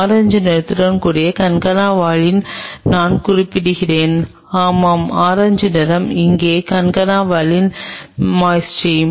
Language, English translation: Tamil, Let us indicate the concana valine with orange color I saw yeah orange color here is the concana valine moiety